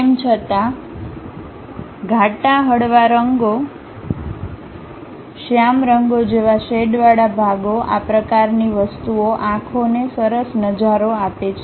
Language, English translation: Gujarati, Although, the shaded portion like bright, light colors, dark colors this kind of things gives nice appeal to eyes